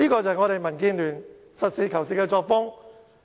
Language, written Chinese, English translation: Cantonese, 這是民建聯實事求是的作風。, This is indeed the practical attitude of DAB